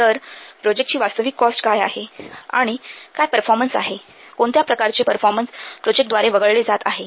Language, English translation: Marathi, So, what is the actual cost that the project takes and what is the performance, what kind of performance the project is keeping